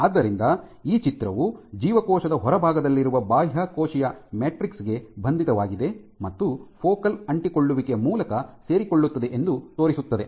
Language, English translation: Kannada, So, as this picture depicts the integrins are binding to the extracellular matrix on the outside and they are connected via focal adhesions